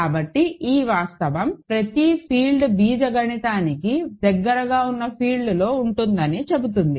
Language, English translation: Telugu, So, this fact says that every field sits inside an algebraically closed field ok